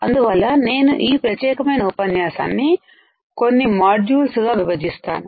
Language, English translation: Telugu, So, I will divide this particular lecture into few modules